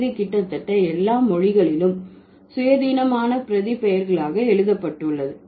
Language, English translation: Tamil, Almost all languages that have independent pronouns